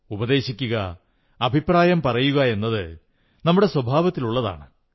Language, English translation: Malayalam, To offer advice or suggest a solution, are part of our nature